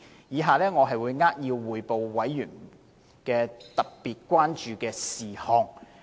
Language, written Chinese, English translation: Cantonese, 以下我會扼要匯報委員特別關注的事項。, I will now briefly report on the special concerns raised by members of the Bills Committee